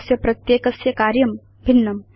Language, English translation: Sanskrit, Each one has a different function